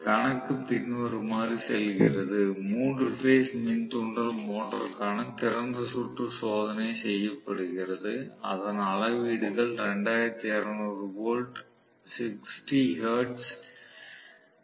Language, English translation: Tamil, So, I am going to have basically for open circuit test for a 3 phase induction motor the readings are somewhat like this it is 2200 volts, 60 hertz, 4